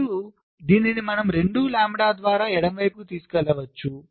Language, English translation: Telugu, now this one you can move to the left by two lambda, so now the distance can be only two lambda